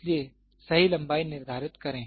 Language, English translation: Hindi, So, determine the correct length